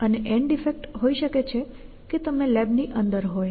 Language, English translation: Gujarati, And the end effects could be you could be inside the lab or something like that